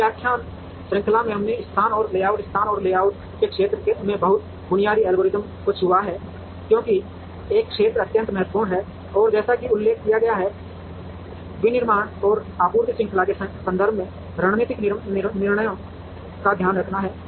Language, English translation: Hindi, In this lecture series we have touched upon very basic algorithms in the area of location and layout, location and layout as an area is extremely important and as mentioned takes care of strategic decisions, in the context of manufacturing and supply chain